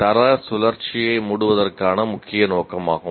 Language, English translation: Tamil, That is the main purpose of closing the loop, quality loop